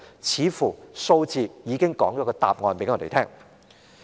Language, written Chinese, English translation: Cantonese, 有關數字似乎已經揭示了答案。, Well the answer has already been revealed in the figures above